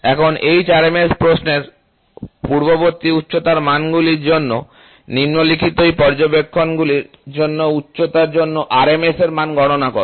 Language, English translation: Bengali, So, now, calculate the RMS value for a height for the following same observations taken for height values in the previous question